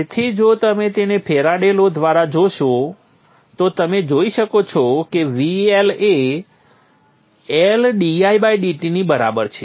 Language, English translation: Gujarati, So by the Faraday's law if you look at that you will see that the L is equal to L, D